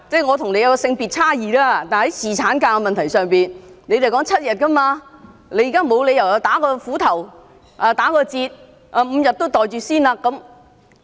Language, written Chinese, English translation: Cantonese, 我跟你性別有差異，但是，在侍產假的問題上，你們也是要求7天，你們現在沒有理由"打斧頭"、打折扣 ，5 天也"袋住先"。, While our genders are different we both demand seven days paternity leave . There is no reason for Members to accept a compromised extension and pocket five days paternity leave first